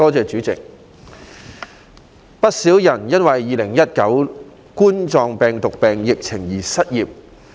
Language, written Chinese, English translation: Cantonese, 主席，有不少人因2019冠狀病毒病疫情而失業。, President quite a number of people have become unemployed due to the Coronavirus Disease 2019 epidemic